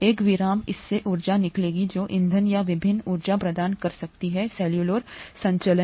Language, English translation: Hindi, A breakage of this would yield energy that can the fuel or that can provide the energy for the various cellular operations